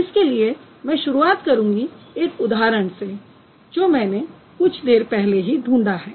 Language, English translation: Hindi, So I'll just begin the discussion with a small example which I cited a while ago